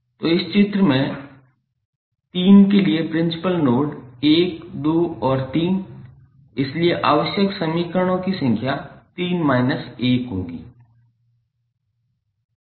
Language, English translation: Hindi, So, in this figure the principal nodes for 3; 1, 2 and 3, so number of equations required would be 3 minus 1